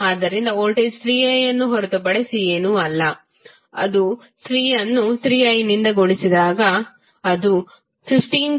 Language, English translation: Kannada, So, voltage is nothing but 3i that is 3 multiplied by the value of current i that come out to be 15cos60 pi t